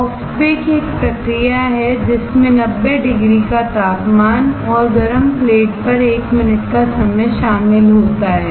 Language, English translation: Hindi, Soft bake, is a process involving temperature of ninety degrees and time of one minute on a hot plate